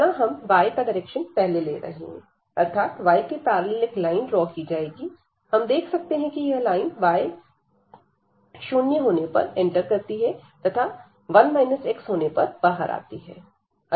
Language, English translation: Hindi, So, of with respect to y draw a line this parallel to y and then we see that this line here enters at this v 1 x and go out at v 2 x